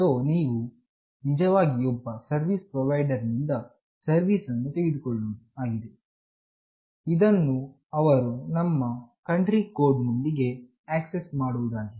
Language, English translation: Kannada, So, you are actually taking the service from some service provider, it is assigned by them including home country code